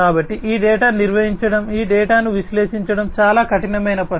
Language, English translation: Telugu, So, to manage this data, to analyze this data is a very herculean task